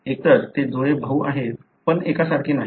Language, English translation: Marathi, Either they are twin brothers, but not identical